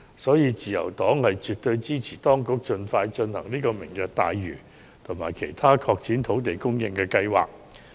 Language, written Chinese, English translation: Cantonese, 因此，自由黨絕對支持政府當局盡快落實"明日大嶼願景"及其他拓展土地供應的計劃。, Hence the Liberal Party fully supports the early implementation of the Lantau Tomorrow Vision and other plans to boost land supply by the Administration